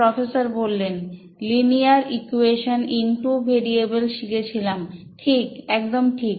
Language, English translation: Bengali, Sir we learned linear equations in two variables